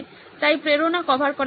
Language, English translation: Bengali, So the motivation is being covered